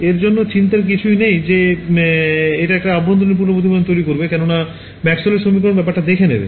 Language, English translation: Bengali, We do not have to think worry about how much is undergoing total internal reflection the Maxwell’s equation will take care of it